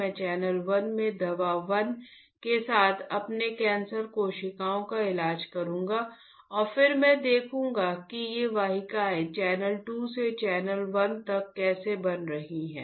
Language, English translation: Hindi, I will treat my cancer cells in channel 1 with drug 1 and again see how these vessels are forming from channel 2 to channel 1